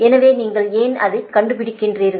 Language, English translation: Tamil, so why that you find it out, right